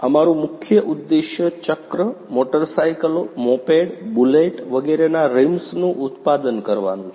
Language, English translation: Gujarati, Our main objective here is to manufacture the rims of cycles, motorcycles, moped, bullet, etc